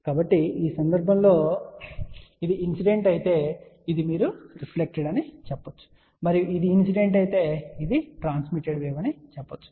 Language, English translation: Telugu, So, in this case if this is incident this is you can say reflected and if this is incident this can be transmitted wave, ok